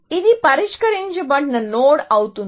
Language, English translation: Telugu, So, this would be a solved node